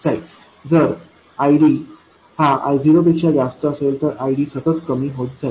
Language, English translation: Marathi, If ID is smaller than I 0, VD is actually increasing